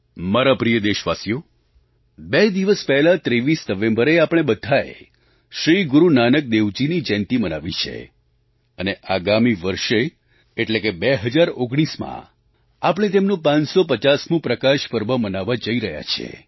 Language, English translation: Gujarati, My dear countrymen, two days back on 23rd November, we all celebrated Shri Guru Nanak Dev Jayanti and next year in 2019 we shall be celebrating his 550th Prakash Parv